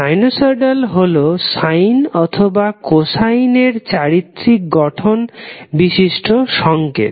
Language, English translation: Bengali, Sinosoid is a signal that has the form of sine or cosine functions